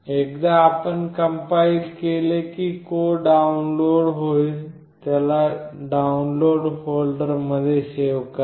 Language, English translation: Marathi, Once you compile then the code will get downloaded, save it in the Download folder